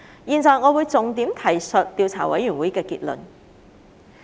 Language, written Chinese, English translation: Cantonese, 現在我會重點提述調查委員會的結論。, I now highlight the key aspects of the Investigation Committees conclusion